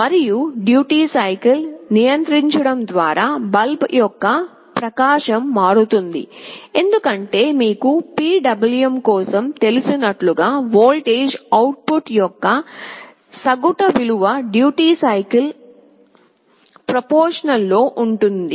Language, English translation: Telugu, And by controlling the duty cycle, the brightness of the bulb will change, because as you know for a PWM the average value of the voltage output will be proportional to the duty cycle